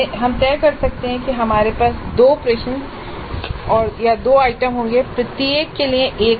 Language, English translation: Hindi, So we might decide that we would have two bits, two questions, two items, one mark each